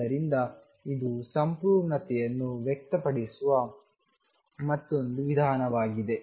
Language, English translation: Kannada, So, this is another way of expressing completeness